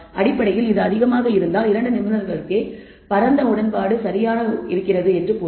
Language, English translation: Tamil, This basically says if this is high then there is broad agreement between the two experts right